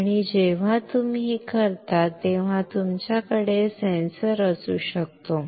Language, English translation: Marathi, And when you do this one you can have the sensor